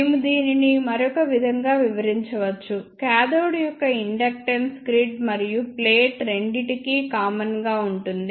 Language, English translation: Telugu, We can explain this with another way also that the inductance of cathode is common to both grid and plate